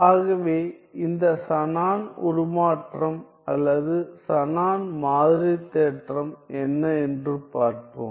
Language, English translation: Tamil, So, let us see what is this Shannon transform or Shannon sampling theorem